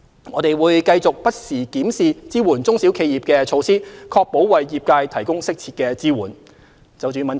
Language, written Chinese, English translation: Cantonese, 我們會繼續不時檢視支援中小企業的措施，確保為業界提供適切的支援。, We will continue to review SME support measures from time to time to ensure that appropriate assistance is provided